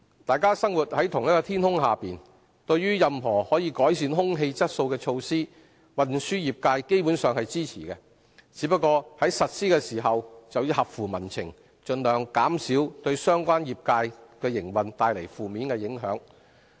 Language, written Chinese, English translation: Cantonese, 大家生活在同一天空下，對於任何可改善空氣質素的措施，運輸業界基本上是支持的，只是在實施時要合乎民情，盡量減少對相關業界的營運帶來負面影響。, We are living under the same sky . The transport trades basically support any measures which may improve air quality as long as they are in line with public sentiments and keep the adverse impact on the operation of the relevant trades to a minimum in implementation